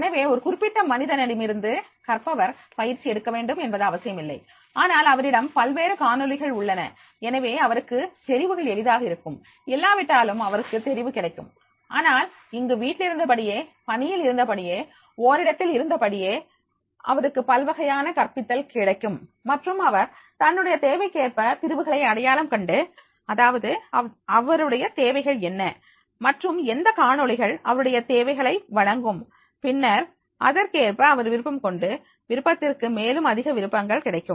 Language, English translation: Tamil, So it is not necessary, that is from the one resource person the learner has to get trained but he will have the different videos and therefore he will have the choice easily otherwise also he will have the choice but here that is by remaining at home or remaining at the workplace or remaining at the one place that he will have the variety of teaching and as per his requirement he can identify segment that is what are his requirements and which videos are able to deliver those requirements and then he will prefer accordingly so that is the preference will also he will get the more preferences